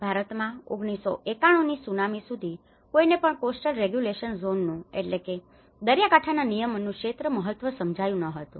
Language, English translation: Gujarati, In India, until the Tsunami, no one have realized the importance of coastal regulation zone which was earlier formulated in 1991